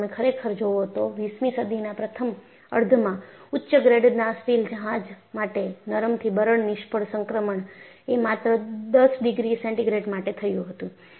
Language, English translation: Gujarati, And if you really look at, during the first half of the 20th century for typically high grade ship steel, the ductile to brittle failure transition was only 10 degree centigrade